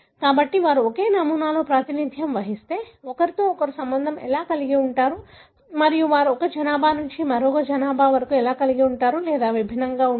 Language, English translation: Telugu, So, but how they are associated with each other if they are represent in the same sample and how they are associated or distinct from one population to the other